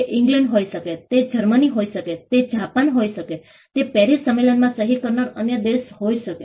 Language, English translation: Gujarati, It could be England, it could be Germany, it could be Japan, it could be any other country which is a signatory to the Paris convention